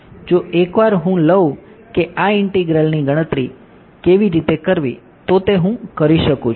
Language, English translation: Gujarati, once I know how to calculate this integral I am done